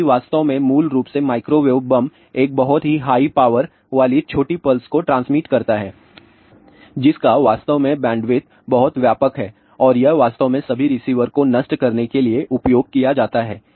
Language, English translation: Hindi, So, the what bomb does if this one actually basically microwave bomb transmits a very high power of small pulse which has actually a very wide bandwidth and this actually is used to destroy all the receivers